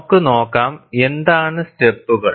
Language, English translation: Malayalam, And let us see, what are the steps